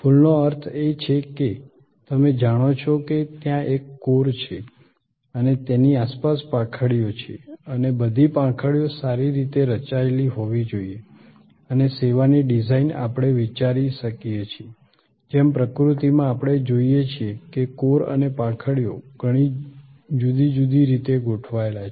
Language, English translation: Gujarati, The flower means that, you know there is a core and there are petals around and all the petals must be well formed and the design of the service can we thought of, just as in nature we find that the core and the petals are arranged in so many different ways